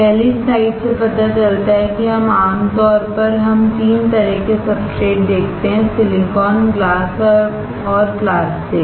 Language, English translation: Hindi, The first slide shows that generally we come across 3 kind of substrates: silicon, glass and plastic